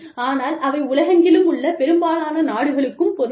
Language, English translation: Tamil, But, they are applicable to, most countries, across the world